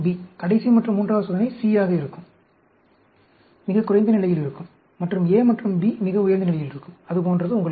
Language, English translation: Tamil, The last and third experiment will be C, will be at a lowest level, and A and B will be the highest level, like that, you know